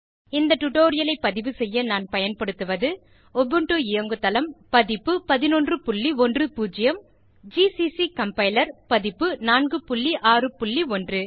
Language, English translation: Tamil, To record this tutorial, I am using, Ubuntu Operating System version 11.10, gcc Compiler version 4.6.1